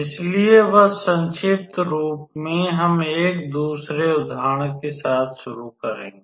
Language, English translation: Hindi, So, just as a recapitulation we will start with an another example